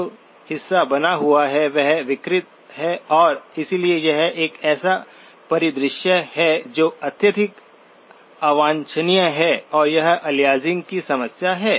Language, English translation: Hindi, The part that remains is distorted and therefore, this is a scenario that is highly undesirable and this is the problem of aliasing